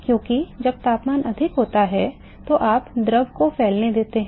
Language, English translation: Hindi, Because when the temperature is higher you allow the fluid to expand